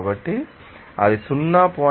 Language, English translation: Telugu, So, you can see that 0